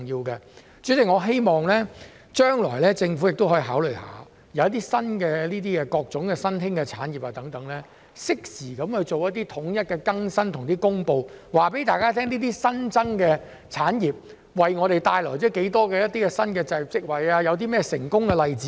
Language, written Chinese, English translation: Cantonese, 代理主席，我希望政府將來可以考慮一點，便是當各種新興產業取得發展時，可以適時統一作出更新和公布，讓大家知道有關產業為香港帶來多少新的就業職位或有何成功例子等。, Deputy President I hope the Government can consider one point in the future When various emerging industries attain development progress it can provide timely and centralized updates and announcements so that everybody can know the number of new posts created by the relevant industries in Hong Kong or the successful examples